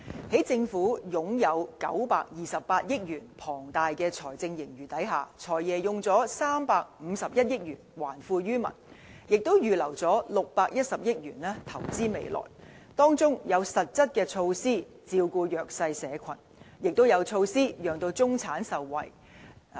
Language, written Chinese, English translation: Cantonese, 在政府擁有928億元龐大財政盈餘的情況下，"財爺"動用351億元還富於民，也預留610億元投資未來，當中有實質措施，照顧弱勢社群，也有措施讓中產受惠。, Given the Governments huge fiscal surplus of 92.8 billion the Financial Secretary has proposed to spend 35.1 on returning wealth to the people and has earmarked 61 billion for the future . Among the measures there are concrete steps to take care of the vulnerable groups as well as proposals benefiting the middle class